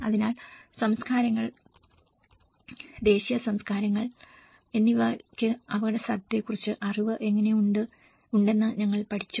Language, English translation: Malayalam, So this is all, we have learned how cultures, indigenous cultures do possess some knowledge on the risk